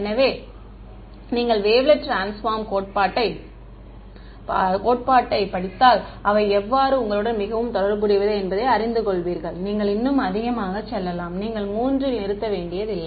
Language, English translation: Tamil, So, if you study the theory of wavelet transforms you will know how they are very related, you can go even more, you do not have to stop at 3 right